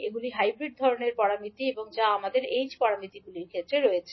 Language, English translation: Bengali, These are the hybrid kind of parameters which we have in case of h parameters